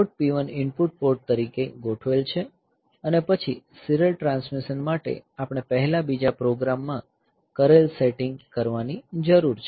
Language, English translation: Gujarati, So, this port, and then this port P 1 is configured as input port, and then for serial transmission I need to do the setting that I was doing previously in the other program